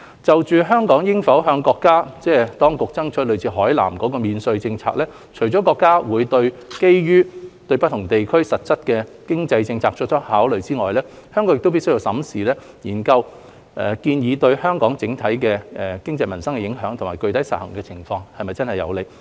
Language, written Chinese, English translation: Cantonese, 就香港應否向國家當局爭取類似海南的免稅政策，除了國家會基於對不同地區實際的經濟政策作出考慮外，香港亦必須審慎研究建議對香港整體經濟民生的影響及具體實行情況是否真正有利。, As regards whether Hong Kong should seek from our country duty - free policies similar to that of Hainan apart from national consideration based on the prevailing economic policies of different areas Hong Kong should also carefully consider the proposals impact on Hong Kongs overall economy as well as peoples livelihood and whether its implementation would bring any actual benefits